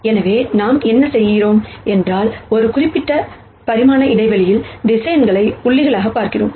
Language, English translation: Tamil, So, what we are doing here is, we are looking at vectors as points in a particular dimensional space